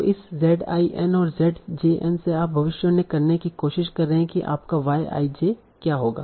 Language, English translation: Hindi, So from these Z I N and ZJN, you are trying to predict what will be your Y I J